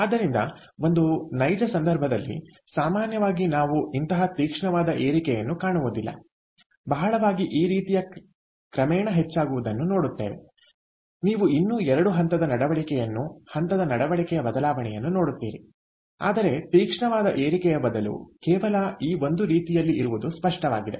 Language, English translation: Kannada, so in a real case, typically we dont see such a sharp ah rise, right, what we see is a more gradual increase like this: you stills ah, you stills see that two phase behavior over here, the change of phase behavior, but instead of it being just a sharp rise, it is typical in this form, clear